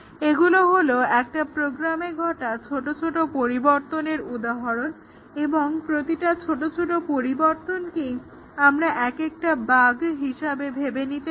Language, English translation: Bengali, These are some examples of small changes to a program and each small change to think of it is actually a bug, a type of bug